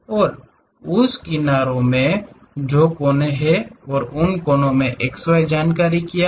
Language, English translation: Hindi, And, in that edges which are the vertices and in those vertices what are the x y information